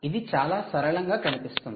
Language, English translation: Telugu, looks simple, looks very simple